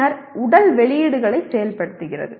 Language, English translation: Tamil, Then activating the physical outputs